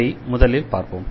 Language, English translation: Tamil, So, this is the first one here